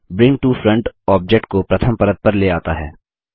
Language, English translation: Hindi, Bring to Front brings an object to the first layer